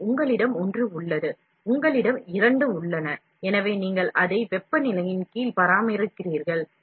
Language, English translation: Tamil, So, you have one, you have two, so you maintain it under a temperature